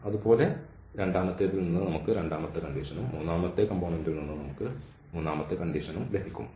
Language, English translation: Malayalam, So, that is the precisely this the first condition the similarly from the second one we will get the second condition and from the third component we will get this third condition